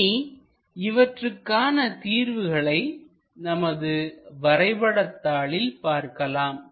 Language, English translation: Tamil, So, let us look at the solution on our drawing sheet